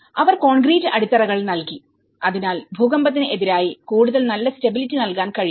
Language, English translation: Malayalam, They provided the concrete foundations, so which can give more stability, greater stability towards the earthquake